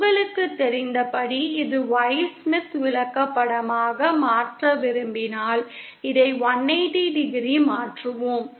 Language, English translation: Tamil, If I want to convert it to the Y Smith Chart the process as you know, we shift this by 180 degree